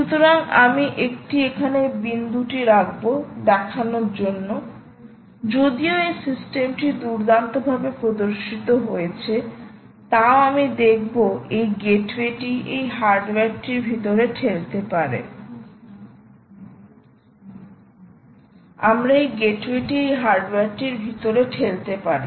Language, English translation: Bengali, so i will put a dot here showing that this system, while it is nicely demonstrated, shown this way, you can actually push this gateway inside this hardware itself, which is, it could be